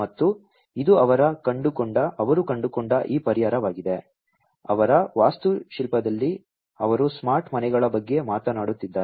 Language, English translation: Kannada, And this is this solution they came up with, in their architecture they are talking about smart homes